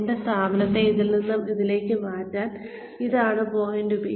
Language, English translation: Malayalam, This is point B, to make my organization from this to this